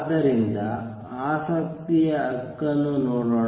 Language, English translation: Kannada, So, let us just see for the interest right